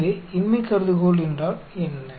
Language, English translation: Tamil, So what is the null hypothesis